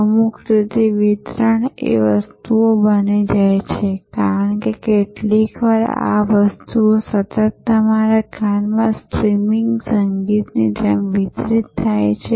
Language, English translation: Gujarati, In some way the delivery becomes the product, because sometimes these products are continuously delivered like streaming music in your ears all the time